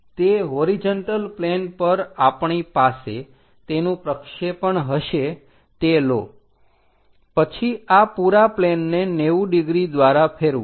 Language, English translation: Gujarati, The projection what we are going to have it on that horizontal plane take it, then rotate this entire plane by 90 degrees